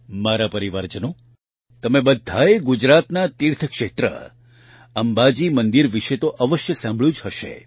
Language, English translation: Gujarati, My family members, all of you must have certainly heard of the pilgrimage site in Gujarat, Amba Ji Mandir